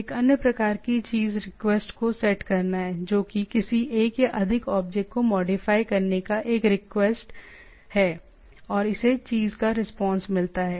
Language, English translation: Hindi, One is one other type of thing is the setting the request, that is request to modify some one or more of the object, and it gets a response of the thing